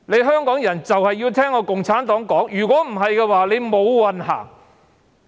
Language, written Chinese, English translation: Cantonese, 香港人必須聽從共產黨，否則將"無運行"。, Hong Kong people must obey CPC or else Hong Kong will have no luck